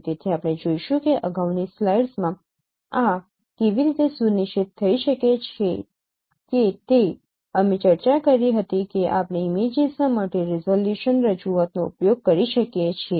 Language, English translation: Gujarati, So we will see that how this could be you know ensured as the previous slides in the previous slide we discussed that we can use multidresolution representation of images